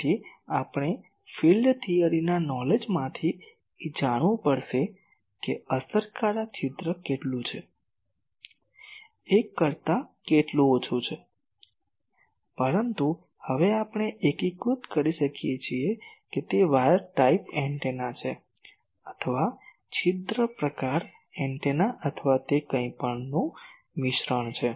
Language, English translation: Gujarati, So, we will have to find out from the knowledge of field theory, that how much is the effective aperture, how much it is less than one, but so, now we can unify that whether it is an wire type antenna, or aperture type antenna, or a mixture of that anything